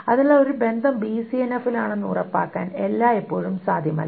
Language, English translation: Malayalam, So it is not always possible to ensure that a relationship is in BCNF